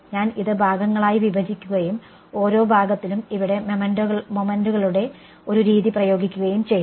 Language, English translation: Malayalam, I broke up this into segments and applied a method of moments over here on each of the segments ok